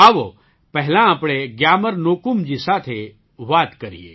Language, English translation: Gujarati, Let us first talk to GyamarNyokum